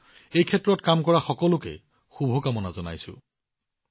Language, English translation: Assamese, I wish all the very best to all the people working in this field